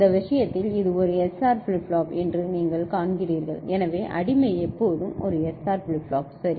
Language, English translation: Tamil, In this case you see that this is one SR flip flop, so the slave is always SR flip flop ok